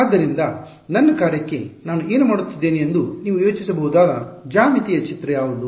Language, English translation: Kannada, So, what is the geometric picture you can think of how, what am I doing to my function